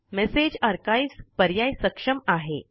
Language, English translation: Marathi, The Message Archives options are enabled